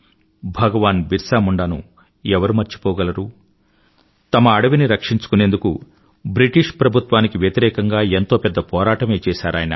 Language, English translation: Telugu, Who can forget BhagwanBirsaMunda who struggled hard against the British Empire to save their own forest land